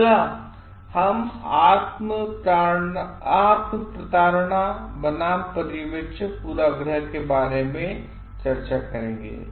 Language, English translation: Hindi, Next we will discuss about self deception versus observer bias